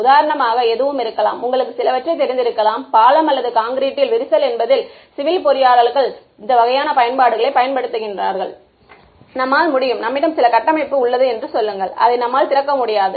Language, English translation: Tamil, Could be anything it could be for example, you know some bridge or cracks in concrete that is what civil engineers use these kinds of applications; let us say I have some structure and I do not want to I cannot open it up right